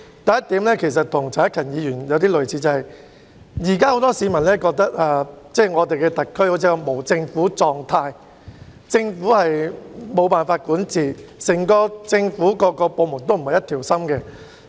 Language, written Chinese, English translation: Cantonese, 第一點與陳克勤議員提出的論點相近，就是現時很多市民認為香港特區好像處於無政府狀態，政府無法管治，各個政府部門也不是一條心。, My first point is similar to a point raised by Mr CHAN Hak - kan . Many people consider that the Hong Kong SAR is apparently in a state of anarchy; the Government is unable to govern Hong Kong and government departments are not acting with one heart and mind